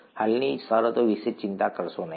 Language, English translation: Gujarati, Do not worry about the terms as of now